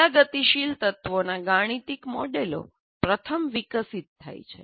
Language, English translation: Gujarati, And mathematical models of all the dynamic elements are developed first